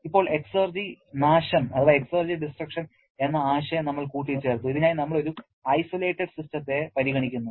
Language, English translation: Malayalam, Now, we added the concept of exergy destruction and for which we are considering an isolated system